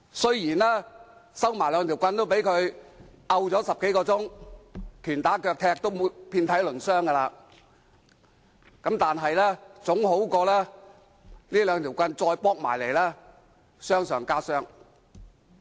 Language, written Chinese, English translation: Cantonese, 雖然收起兩根木棒也被他打了10多小時，拳打腳踢已經遍體鱗傷，但總好過再被這兩根木棒打，傷上加傷。, Even after the sticks were taken away the people were beaten and kicked for more than 10 hours and were seriously injured but it was still better than suffering more blows with the sticks